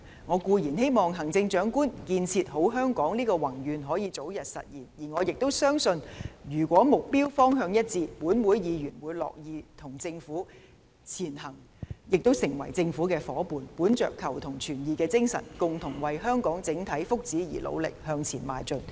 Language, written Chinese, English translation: Cantonese, 我固然希望行政長官"建設好香港"的宏願可以早日實現，而我亦相信，如果目標方向一致，立法會議員會樂意成為與政府前行的夥伴，本着求同存異的精神，共同為香港整體福祉努力向前邁進。, I certainly hope that her vision of building a better Hong Kong can be realized at an early date . I also believe that if we can set a common goal Legislative Council Members are willing to join hands with the Government to move forward together and strive for the collective interests of Hong Kong in the spirit of seeking common ground while reserving differences